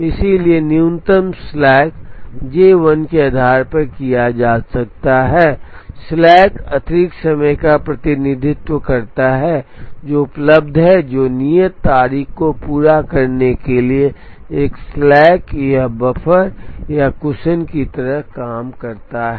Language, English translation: Hindi, So, based on minimum slack J 1 can be taken, slack represents the extra time that is available, which acts like a slack or a buffer or a cushion to try and meet the due date